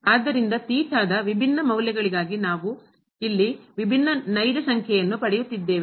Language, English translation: Kannada, So, here for different values of theta we are getting the different real number